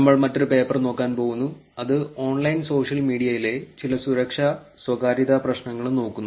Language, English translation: Malayalam, We are going to look at another paper, which is also looking at some of the security and privacy issues on online social media